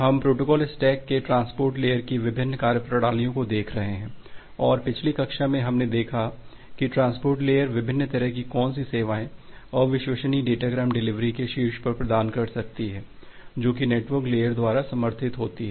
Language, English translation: Hindi, So, we are looking into the different functionalities of the Transport Layer of the protocol stack and in the last class we have looked into that what different services the transport layer can provide on top of your unreliable datagram delivery that is supported by the network layer